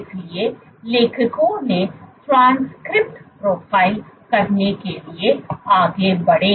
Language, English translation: Hindi, So, the authors went onto do the transcript profile